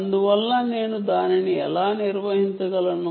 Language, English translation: Telugu, therefore, how do i manage that